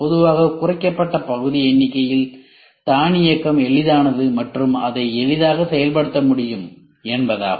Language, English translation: Tamil, Reduced part count usually means automation is easy and it could be easily implemented